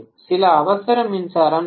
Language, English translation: Tamil, There are some emergency power supplies that are needed